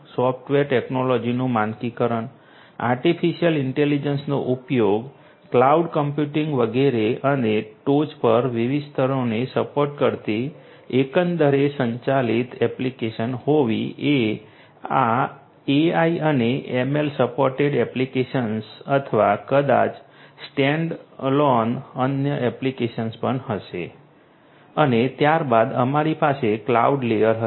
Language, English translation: Gujarati, Standardization of software technology use of artificial intelligence, cloud computing, etcetera and to have overall integrated application supporting different layers at the very top would be these AI and ML supported applications or maybe standalone other applications as well and thereafter we have the cloud layer at the bottom of the application layer